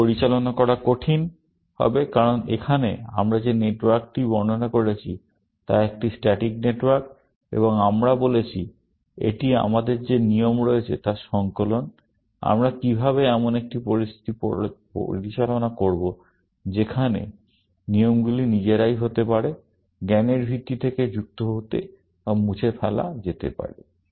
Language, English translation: Bengali, That would be difficult to handle in this, because here, the network that we have described is a static network, and we have said it is a compilation of the rule that we have; how do we handle a situation where, the rules can be themselves, added or deleted from a knowledge base